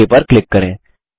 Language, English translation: Hindi, Now click OK